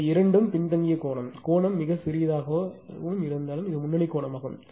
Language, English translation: Tamil, This two are lagging angle; although angle is very small and negligible, but and this one is leading angle